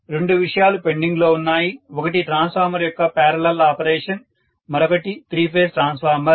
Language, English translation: Telugu, two topics are mainly pending in transformers now, one is three phase transformer